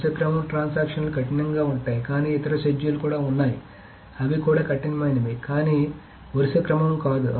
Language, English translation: Telugu, So serial transactions are strict but there are other seduce which are strict but not not serial